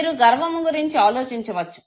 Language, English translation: Telugu, You can think of pride, okay